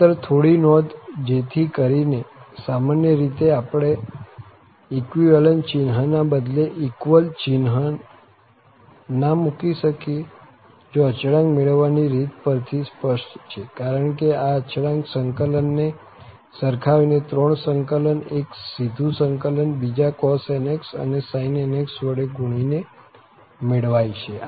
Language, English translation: Gujarati, Just few remarks so that, in general, we cannot replace this equivalent sign by this equal sign in the series which is clear from the determination of constant, because these constants are determined by equating integrals, the three integrals, one was direct integral, other was while multiplied by cos nx and the sin nx